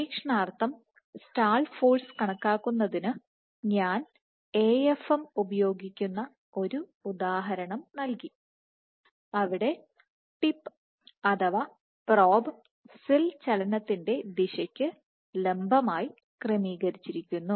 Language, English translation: Malayalam, So, for calculating stall force experimentally, I had given an example where we use an AFM where the probe the tip was oriented perpendicular to direction of cell movement